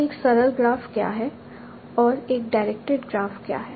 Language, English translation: Hindi, So now, so we saw what is a simple graph and directed and what is a directed graph